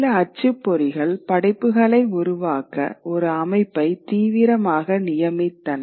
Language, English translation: Tamil, Some printers actually actively commissioned works